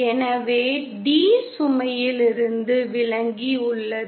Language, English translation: Tamil, So d is away from the load